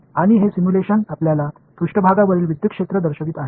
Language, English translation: Marathi, And this simulation is showing you the electric fields on the surface